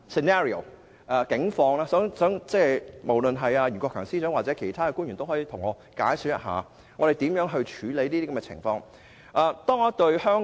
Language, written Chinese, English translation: Cantonese, 我要提出數個不同的情景，希望袁國強司長或其他官員可以解說一下會如何處理這些情況。, I will bring up several different scenarios and hope that Secretary for Justice Rimsky YUEN or other government officials can explain how these situations will be dealt with . Let me now describe the first scenario